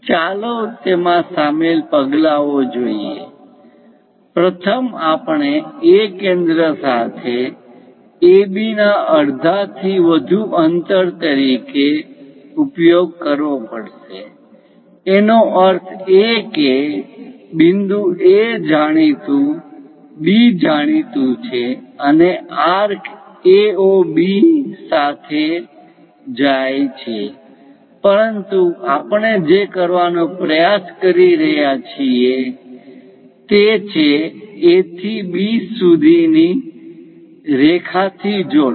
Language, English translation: Gujarati, Let us look at the steps involved in that; first, we have to use with A as centre and distance greater than half of AB; that means, point A is known B is known, and the arc goes along A, O, B but what we are trying to do is; from A to B, join by a line